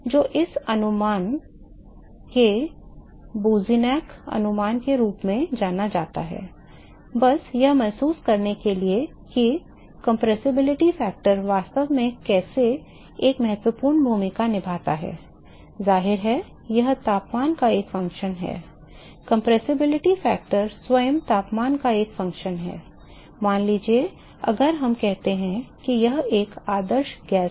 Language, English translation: Hindi, So, this approximation is what is called as Boussinesq approximation, a just to get a feel of what this compressibility factor really how it plays an important role is that the compressibility factor; obviously, it is a function of temperature compressibility factor itself is a function of temperature suppose if we say it is an ideal gas